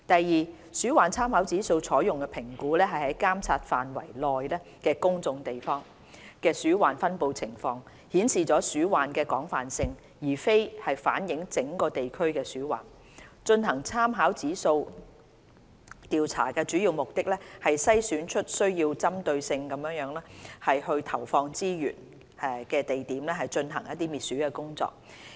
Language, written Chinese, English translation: Cantonese, 二鼠患參考指數用作評估在監察範圍內公眾地方的鼠患分布情況，顯示鼠患的廣泛性，而非反映整個地區的鼠患，進行參考指數調查的主要目的是篩選出需要針對性地投放資源的地點進行滅鼠工作。, 2 The RIR assesses the distribution of rodent infestation in public places within the survey areas . It is used to reflect the extensiveness of rodent infestation but not the rodent problem in a whole district . The main purpose of conducting the RIR survey is to identify problematic areas which require allocation of targeted resources for carrying out anti - rodent operations